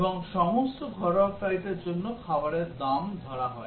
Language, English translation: Bengali, And for all domestic flights meals are charged